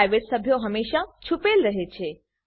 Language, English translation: Gujarati, private members are always hidden